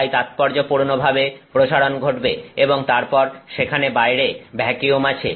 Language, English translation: Bengali, So, significant expansion is happening and then there is vacuum outside